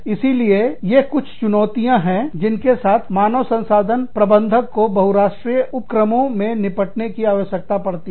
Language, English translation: Hindi, So, these are some of the challenges, that HR managers, in multi national enterprises, have to deal with